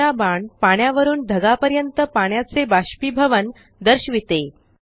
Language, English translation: Marathi, The third arrow shows evaporation of water from water to the clouds